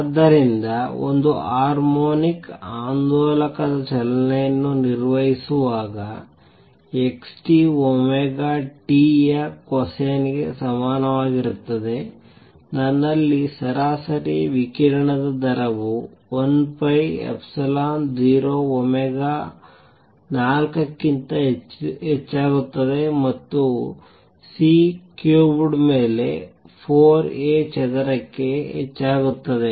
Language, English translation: Kannada, So, when a harmonic oscillator is performing motion x t equals a cosine of omega t, I have the rate of average rate of radiation is equal to 1 third e square over 4 pi epsilon 0 omega raise to 4 A square over C cubed